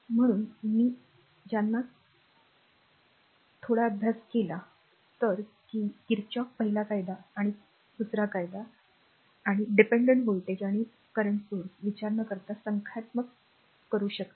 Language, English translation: Marathi, So, with these ah whatever little bit you have studied , Kirchhoff's ah first law and second law, and all this say numericals ah your your we can without considering the your ah dependent voltage and current source